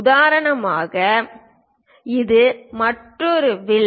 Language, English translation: Tamil, For example, this is another arc